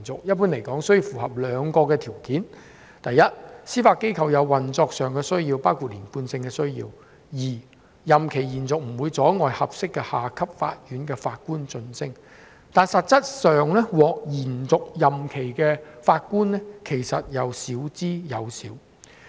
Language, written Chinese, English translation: Cantonese, 一般而言，須符合兩項條件：第一，司法機構有運作上的需要，包括連貫性的需要；第二，任期延續不會阻礙合適的下級法院的法官晉升，但實質上，獲延續任期的法官少之又少。, Generally speaking two conditions must be met first the Judiciary has operational needs including the need for continuity; second the extension would not hinder the advancement of junior officers . In effect however very few Judges were granted extension of their terms of office